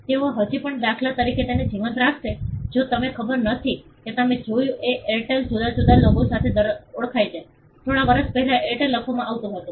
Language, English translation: Gujarati, They will still keep it alive for instance if I do not know whether you noticed Airtel used to be known by a different logo, few years back Airtel used to be written